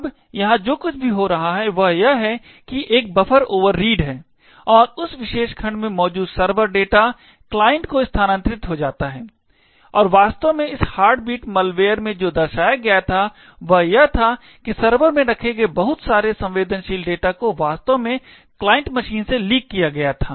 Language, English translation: Hindi, Now what is happening here is that there is a buffer overread and the servers data present in that particular segment gets transferred to the client and what was actually demonstrated in this heartbeat malware was that a lot of sensitive data held in the server was actually leaked to the client machine